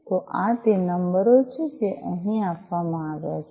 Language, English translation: Gujarati, So, these are the numbers that are given over here